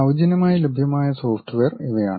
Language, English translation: Malayalam, These are the freely available software